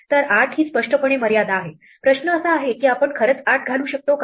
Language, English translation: Marathi, So, 8 is clearly the limit, the question is whether we can actually put 8